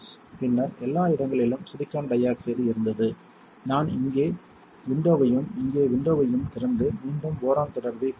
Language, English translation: Tamil, Then everywhere there was silicon dioxide, I just open window here and window here and again diffuse the boron contact